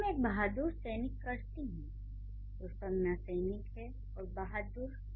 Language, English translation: Hindi, When I say a brave soldier, when I say a brave soldier, the noun is soldier and what is brave doing